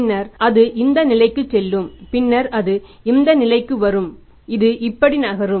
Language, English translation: Tamil, Then when it touches this point, it will be brought down then it will be going up like this